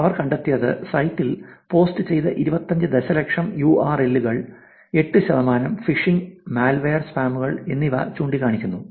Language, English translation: Malayalam, So, what they found is, they found 8 percent of the 25 million URLs posted on the site pointing to phishing, malware and scams